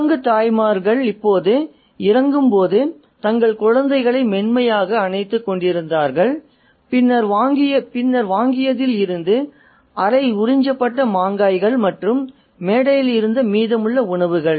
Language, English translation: Tamil, The monkey mothers were hugging their little ones tenderly as they descended now and then from the purchased, collect half sucked mango stones and the remainder of food from the platform